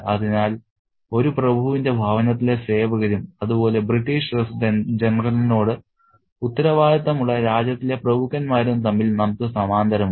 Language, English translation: Malayalam, So, we can draw a parallel between the servants within a home of an aristocrat and the aristocrats within the country who are answerable to the British resident general